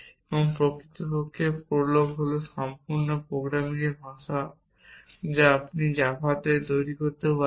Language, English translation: Bengali, And in fact prolog is the complete programming language anything you can do in java